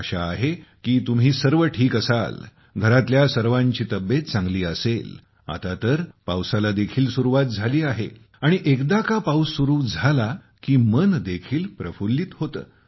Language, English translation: Marathi, I hope all of you are well, all at home are keeping well… and now the monsoon has also arrived… When the monsoon arrives, the mind also gets delighted